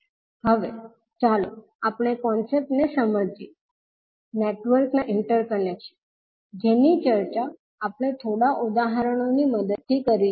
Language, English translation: Gujarati, Now, let us understand the concepts, the interconnection of the network which we discussed till now with the help of few examples